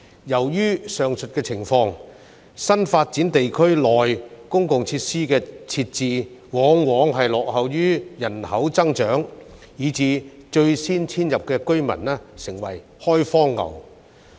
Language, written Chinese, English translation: Cantonese, 由於上述情況，新發展地區內公共設施的設置往往落後於人口增長，以致最先遷入的居民成為"開荒牛"。, Owing to the aforesaid circumstances the provision of public facilities in new development areas often lags behind population growth . As a result those residents who are the first to move into these areas become trailblazers